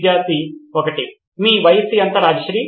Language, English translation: Telugu, How old are you Rajshree